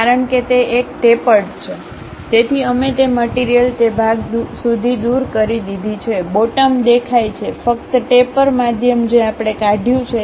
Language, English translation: Gujarati, Because it is a tapered one; so we have removed that material up to that portion, the bottom is clearly visible, only the tapper middle one we have removed